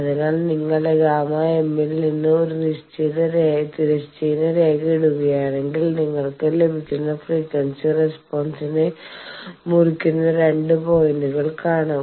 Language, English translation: Malayalam, So, if you put a horizontal line from the gamma m then you see 2 points you are getting which is cutting that frequency response